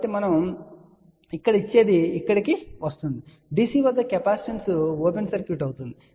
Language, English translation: Telugu, So, whatever we gave here, comes here; at DC, capacitance will be open circuit